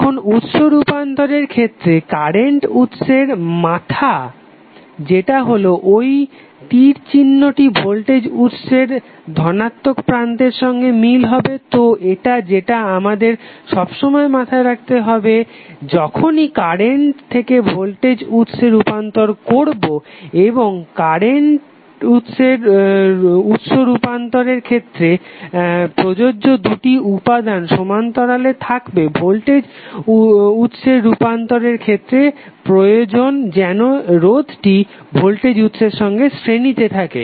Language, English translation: Bengali, Now, in case of source transformation the head of the current source that is the arrow will correspond to the positive terminal of the voltage source, so this is what we have to always keep in mind while we transforming current to voltage source and source transformation of the current source and resistor requires that the two elements should be in parallel and source transformation voltage source is that resistor should be in series with the voltage source